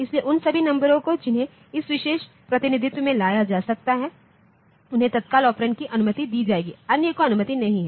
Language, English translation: Hindi, So, all those numbers that can be feted into this particular representation, they will be allowed as immediate operand others are not